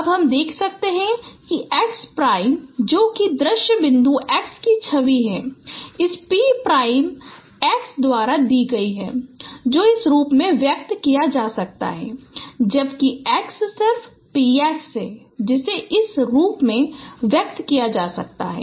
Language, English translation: Hindi, As you can see that x prime which is the image of the same point x is given by this p prime x which is can be expressed in this form whereas x is just p x which can be expressed in this form